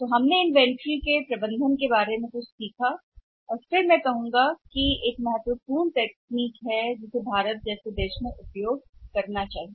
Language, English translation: Hindi, So, we learnt something about the management of inventory and I would again say that the the important technique which we should use in environment like India